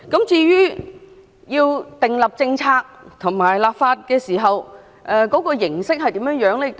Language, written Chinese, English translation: Cantonese, 至於要訂立政策和立法時，有關的形式會如何呢？, With regards to the formulation of policies and legislation what form should be adopted?